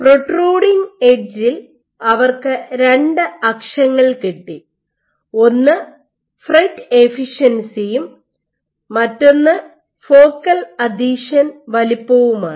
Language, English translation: Malayalam, And they found at the protruding edge they have 2 axes one is your FRET efficiency and one is your focal adhesion size